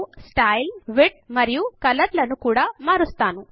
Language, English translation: Telugu, I will also change the Style, Width and Color